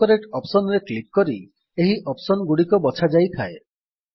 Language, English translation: Odia, These options are selected by clicking on the AutoCorrect Options